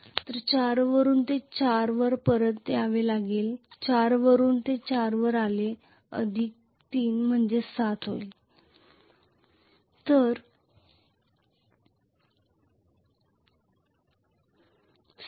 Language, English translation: Marathi, So it has to come back to 4 from 4 it will go to 4 plus 3, 7